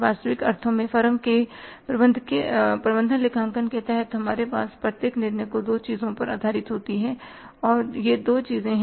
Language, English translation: Hindi, Our each and every decision under management accounting in the firm in the real sense has to be based upon two things and these two things are what they are cost and benefits